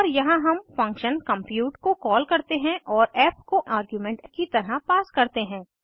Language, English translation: Hindi, And here we call function compute and pass f as argument